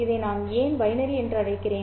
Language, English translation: Tamil, Why do I call this as binary